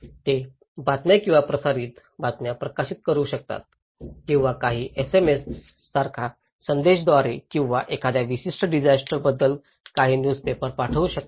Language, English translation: Marathi, They can publish news or broadcast news or some send message like SMS or maybe some newsletters about a particular disasters